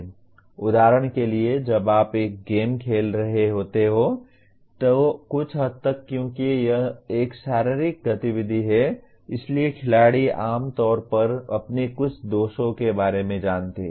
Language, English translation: Hindi, For example when you are playing a game, to a certain extent because it is physical movements a player is generally aware of some of his defects